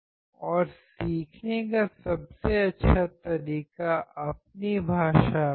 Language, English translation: Hindi, And the best way of learning is done in your own language